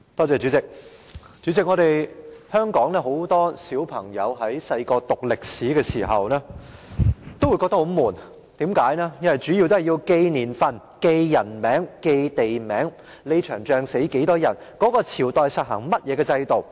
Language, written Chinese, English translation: Cantonese, 主席，香港很多朋友小時候讀歷史，多數感到十分沉悶，因為需要記住年份、人名、地名，某場戰役中多少人死亡，以及某個朝代實行甚麼制度等。, President many people in Hong Kong studied history when they were young but most of them would find the subject really boring because they had to remember a bunch of years names and places how many people died in a certain battle what kind of system was adopted in a certain dynasty etc